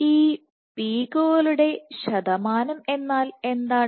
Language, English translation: Malayalam, So, what is this percentage of peaks